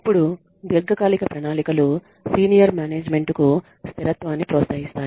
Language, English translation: Telugu, Then long term plans also encourage stability for senior management